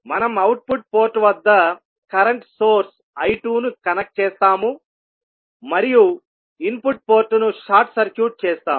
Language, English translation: Telugu, We will connect a current source I 2 at the output port and we will short circuit the input port